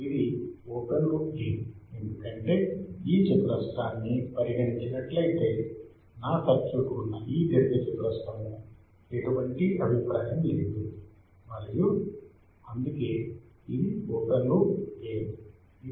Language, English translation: Telugu, This is the open loop gain because if I just consider this square right rectangle in which my circuit is there then there is no feedback and that is why it is an open loop gain